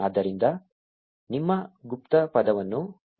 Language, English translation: Kannada, So, enter your password